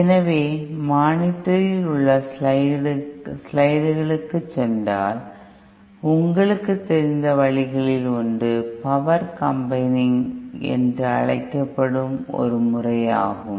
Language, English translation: Tamil, So one of the ways you know if we go to the slides on the monitor is a method called ÒPower CombiningÓ